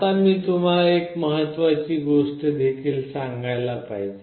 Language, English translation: Marathi, Now I should also tell you one important thing